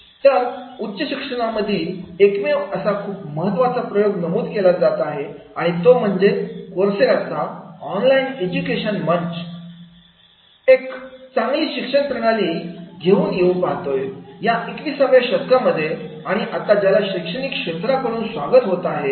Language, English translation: Marathi, So the single most important experiment in the higher education that has been mentioned, that is the online education platform Coursera wants to drag the light education into the 21st century and now it is getting by in from the academy